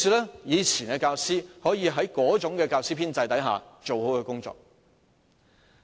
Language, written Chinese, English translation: Cantonese, 因此，以往教師可以在過往那種教師編制下做好其工作。, Hence teachers could do their job well under the old teaching staff establishment